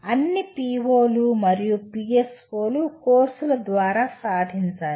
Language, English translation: Telugu, After all POs and PSOs have to be dominantly be attained through courses